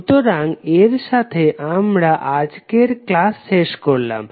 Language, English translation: Bengali, So with this we close todays session